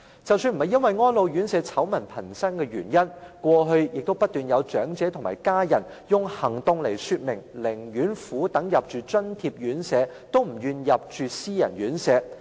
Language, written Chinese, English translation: Cantonese, 即使並非由於安老院舍醜聞頻生，過往亦不斷有長者或其家人，以行動說明寧願苦等入住津貼院舍，也不願入住私人院舍。, Irrespectively of the numerous scandals involving elderly care homes there have been many elderly persons or their family who chose not to live in private care homes and would rather painstakingly wait for a place in subsidized care homes